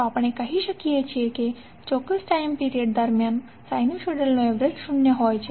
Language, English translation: Gujarati, So we can say that average of sinusoid over a particular time period is zero